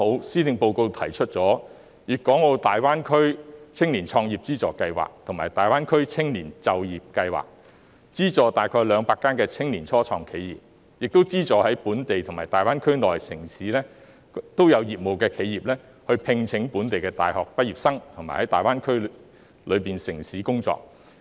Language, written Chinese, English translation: Cantonese, 施政報告剛好提出粵港澳大灣區青年創業資助計劃和大灣區青年就業計劃，資助大約200間青年初創企業，並資助在本地和大灣區內的城市經營業務的企業，聘請本地大學畢業生在大灣區內的城市工作。, The Policy Address has rightly proposed the Funding Scheme for Youth Entrepreneurship in the Guangdong - Hong Kong - Macao Greater Bay Area and the Greater Bay Area Youth Employment Scheme subsidizing around 200 youth start - ups and enterprises with operation in both Hong Kong and the Greater Bay Area GBA to recruit local university graduates to work in GBA cities